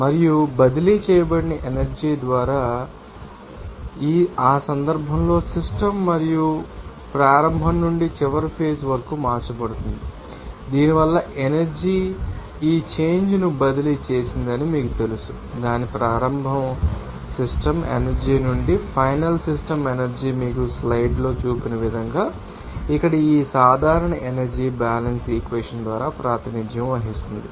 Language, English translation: Telugu, And you know work by energy transferred so, in that case the system and it will be changed from initial to final stage and because of this you know energy transferred this a change of this, you know final system energy from its initial system energy can be represented by this general energy balance equation here as shown in the slides